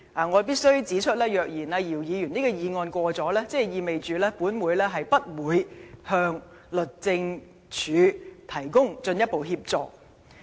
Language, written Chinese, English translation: Cantonese, 我必須指出，若姚議員的議案獲得通過，即意味本會將不會向律政司提供進一步協助。, I must point out that if Dr YIUs motion is passed it would mean that this Council is not going to provide further assistance to DoJ